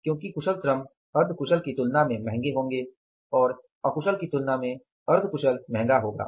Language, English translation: Hindi, Because skilled worker will be costly, expensive as compared to the semi skilled and semi skilled will be expensive as compared to the unskilled